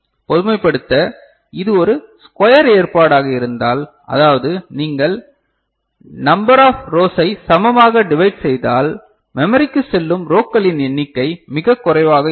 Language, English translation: Tamil, To generalize, we see if it is a square arrangement I mean if you equally divide then the number of rows will be the number of lines going to the memory will be the least, ok